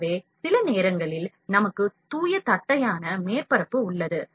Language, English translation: Tamil, So, sometimes we have the pure flat surface